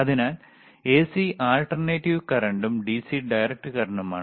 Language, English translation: Malayalam, So, AC is alternating current and DC is direct current